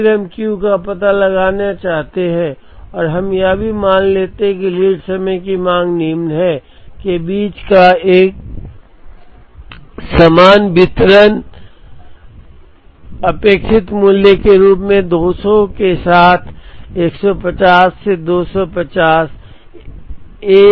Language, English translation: Hindi, Then, we want to find out Q and we also assume, that the lead time demand follows, a uniform distribution between; 150 to 250 with 200 as the expected value